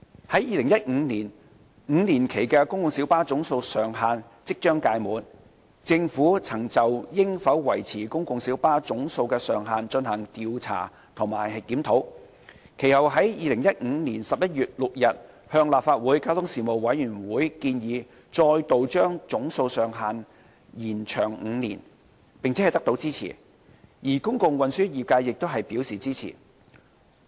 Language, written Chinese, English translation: Cantonese, 在2015年 ，5 年期的公共小巴總數上限即將屆滿，政府曾就應否維持公共小巴的總數上限進行調查及檢討，其後於2015年11月6日向立法會交通事務委員會建議，再度將總數上限延長5年，並得到支持，而公共運輸業界亦表示支持。, In 2015 before the expiry of the five - year validity period of the cap on the number of PLBs the Government conducted a survey and reviewed whether the cap on the number of PLBs should be maintained . We subsequently put forward a proposal to the Legislative Council Panel on Transport on 6 November 2015 to extend the effective period of the cap by five years again and received support . The public transport trade was also supportive of the recommendation